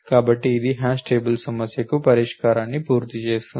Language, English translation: Telugu, So, this completes the solution for the hash table problem